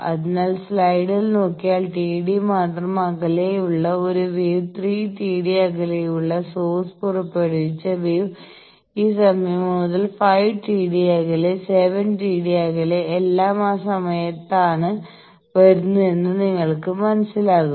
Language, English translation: Malayalam, So, if you look at the slide you will understand that one wave with just T d away, the wave which was emitted by the source 3 T d away, from this time then 5 T d away, 7 T d away, all are coming at the time